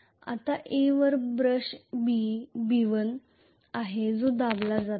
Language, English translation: Marathi, Now on A there is brush B1 which is being pressed